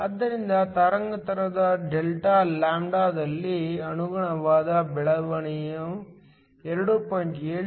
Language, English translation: Kannada, So, the corresponding change in the wavelength delta lambda is nothing but 2